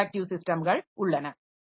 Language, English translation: Tamil, So, the system is an interactive system